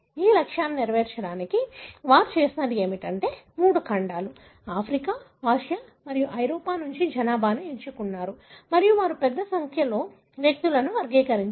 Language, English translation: Telugu, To fulfill these objectives what they have done is they have selected populations from all the three continents, Africa, Asia and Europe and they have characterized a large number of individual